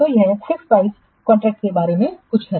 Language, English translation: Hindi, So, this is something about the fixed price contracts